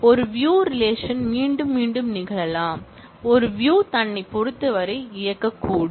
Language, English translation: Tamil, And a view relation can be recursive also, that a view could be in terms of itself